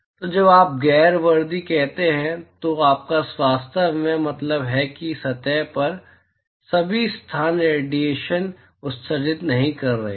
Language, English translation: Hindi, So, when you say non uniform you really mean that not all locations on the surface is emitting radiation